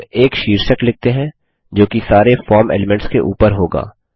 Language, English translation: Hindi, Let us now type a heading that will sit above all the form elements